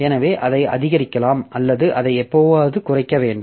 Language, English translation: Tamil, So, you can increase it or you have to decrease it at some time